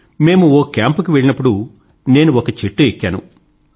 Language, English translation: Telugu, While we were at camp I climbed a tree